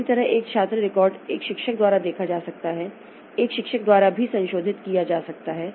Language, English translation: Hindi, Similarly, a student record may be viewed by a teacher and is also modifiable by a teacher